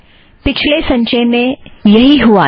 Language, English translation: Hindi, So this is what happened in the previous compilation